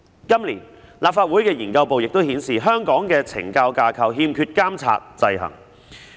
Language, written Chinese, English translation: Cantonese, 今年，立法會資料研究組的資料顯示，香港的懲教架構欠缺監察制衡。, This year as indicated by the information of the Research Office of the Legislative Council the structure of correctional services in Hong Kong lacks checks and balances